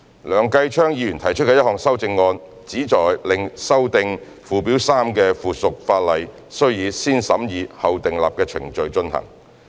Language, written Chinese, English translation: Cantonese, 梁繼昌議員提出的1項修正案，旨在令修訂附表3的附屬法例須以"先審議後訂立"程序進行。, The amendment proposed by Mr Kenneth LEUNG seeks to require the subsidiary legislation for amending Schedule 3 to undergo the positive vetting procedure